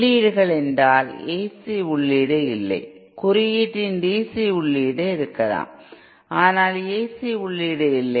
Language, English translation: Tamil, Inputs I mean no AC input, there can be DC input of code, but no AC input